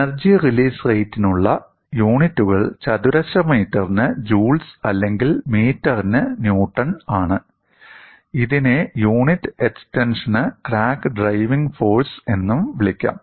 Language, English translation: Malayalam, And the units for energy release rate is joules per meter squared, or in other words newton per meter, and this can also be called as crack driving force per unit extension